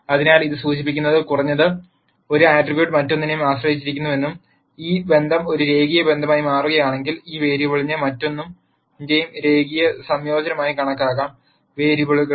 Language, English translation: Malayalam, So, this implies that at least one attribute is dependent on the other and if this relationship happens to be a linear relationship then this variable can be calculated as a linear combination of the other variables